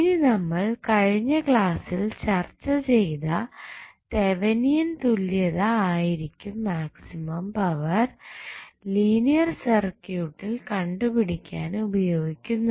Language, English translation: Malayalam, Now, the Thevenin equivalent which we discussed in the previous classes, it is basically will be used for finding out the maximum power in linear circuit